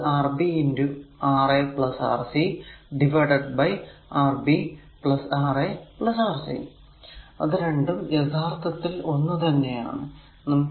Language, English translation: Malayalam, So, it will be Rb into Ra plus Rc divided by Rb plus Ra plus Rc; so, cleaning it and going to that right